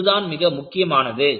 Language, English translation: Tamil, And, this is very important